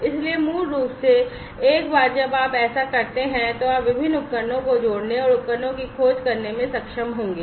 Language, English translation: Hindi, So, basically you know, so once you do that, you would be able to add the different devices and discover devices